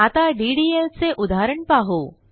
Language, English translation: Marathi, Next let us see a DDL example